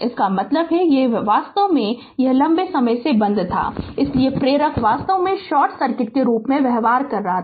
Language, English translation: Hindi, That means, this one actually this one it was it was closed for a long time, so inductor actually behaving as a short circuit